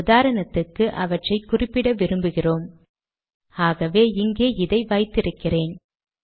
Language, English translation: Tamil, We want to refer to them, so for example, lets say we want to refer to them, so I have this here